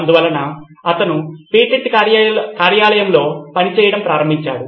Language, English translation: Telugu, So he started working at a patent office